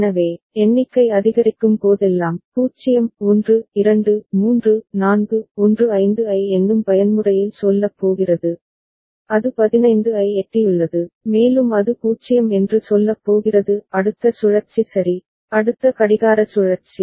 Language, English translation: Tamil, So, whenever the number is increasing say, 0 1 2 3 4 going to say 15 in count up mode then it has reached 15 and it is going to say 0; next cycle ok, next clock cycle